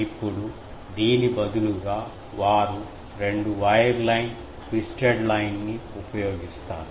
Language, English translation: Telugu, Now, instead they use a two wire line, twisted line